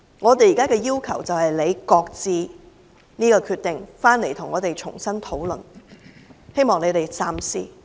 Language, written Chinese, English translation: Cantonese, 我們現在的要求，是政府擱置這個決定，回來跟我們重新討論，希望你們三思。, We now request the Government to shelve this decision and come back here for discussions with us afresh . I hope they would think twice